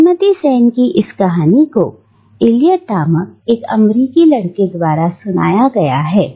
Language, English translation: Hindi, This story Mrs Sen’s is narrated by an American boy named Eliot